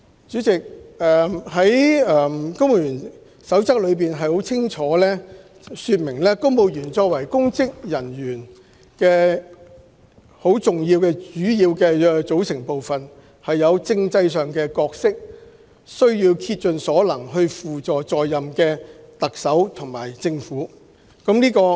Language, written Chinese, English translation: Cantonese, 主席，《公務員守則》清楚訂明，公務員作為公職人員的主要組成部分有其政制角色，必須竭盡所能輔助在任的行政長官及政府。, President the Civil Service Code clearly provides that civil servants being an integral part of the civil service have their constitutional roles to play and shall serve the Chief Executive and the Government of the day to the best of their ability